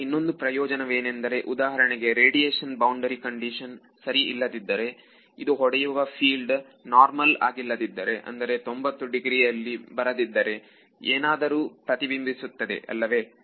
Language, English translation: Kannada, The other advantage is this let us say that you we have we have spoken about this radiation boundary condition being inexact correct and its inexact when the field that is hitting it is non normal not coming at 90 degrees then something reflects back correct